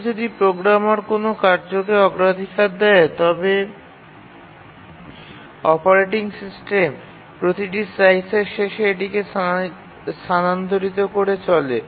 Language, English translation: Bengali, Even if the programmer assigns a priority to a task, the operating system keeps on shifting it the end of every time slice